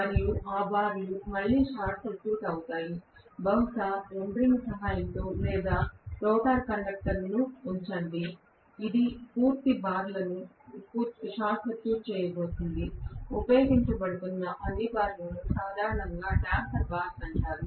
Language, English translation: Telugu, And those bars are again going to be short circuited, maybe with the help of endearing or it simply put copper conductor, which is going to short circuit the complete bars, all the bars which are being used